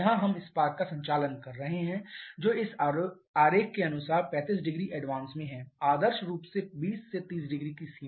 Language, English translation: Hindi, Here opening the spark plug or we are operating the spark somewhere here which is 35 degree advance as per this diagram ideally in the range of 20 to 30 degree